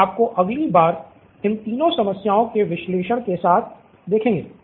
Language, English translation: Hindi, We will see you next time with the analysis of these 3 problem